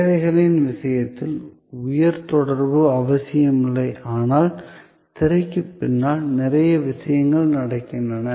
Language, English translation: Tamil, In case of services which are not necessarily high contact, but a lot of things are happening behind the scene